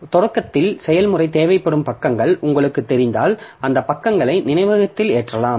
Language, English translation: Tamil, So if you know the pages that the process will need at start up, then you can load those pages into the memory